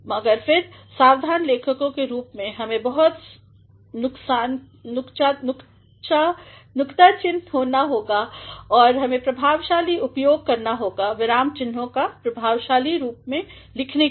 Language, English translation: Hindi, But, then as careful writers, we have to be very particular and we have to make effective use of punctuation in order to write effectively